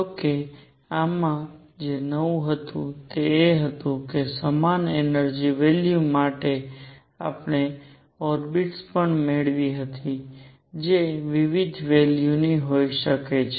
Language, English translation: Gujarati, However, what was new in this was that for the same energy values we also obtained orbits which could be of different values